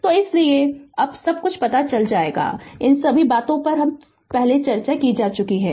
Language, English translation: Hindi, So, that is why now you will know everything all these things have being discussed before